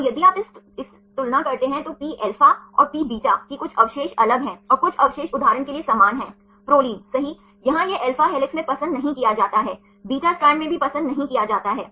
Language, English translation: Hindi, And if you compare this Pα and Pβ some residues are distinct and some residues are same for example, Proline right, here it is not preferred in alpha helix also is not preferred in beta strand